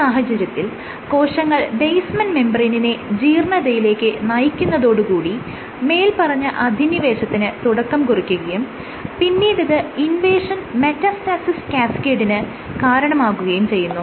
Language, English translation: Malayalam, Were cells actually degrade the basement membrane and that represents that degradation of the basement membrane represents the first step in invasion, in initiating the invasion metastasis cascade